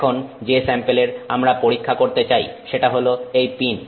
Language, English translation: Bengali, Now, the sample that we wish to test is the pin